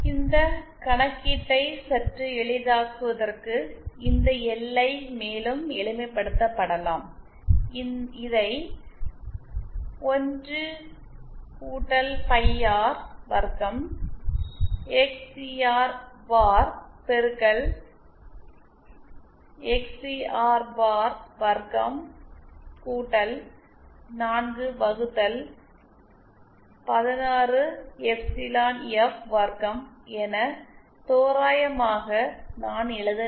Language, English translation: Tamil, To make this calculation a bit easier, this LI can be further simplified I should write it approximately as 1 + phi R square XCR bar into XCR bar square + 4 upon 16 epsilon F square